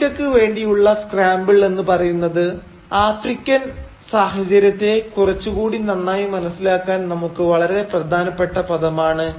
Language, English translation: Malayalam, And this scramble for Africa is an important term for us, which will help us understand the African context better